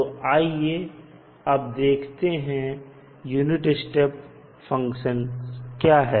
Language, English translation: Hindi, So, first let us see what is unit step function